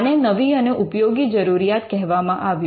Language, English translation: Gujarati, They used to call it the new and useful requirement